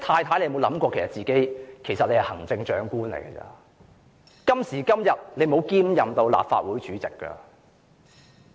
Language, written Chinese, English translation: Cantonese, 她有否想過自己其實只是行政長官，今時今日她並沒有兼任立法會主席？, Has it ever occurred to her that she is actually only the Chief Executive and does not double as the President of the Legislative Council at present?